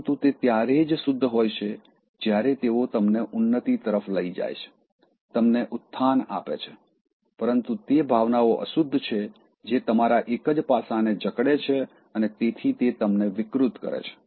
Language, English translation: Gujarati, But they are pure only when they lift you up, they elevate you, but those emotions are impure, which would capture you, only one side of you being and so distorts you